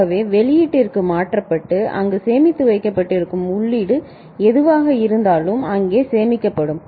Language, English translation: Tamil, So, whatever is the input that gets transferred to the output and remains stored there, remains stored there ok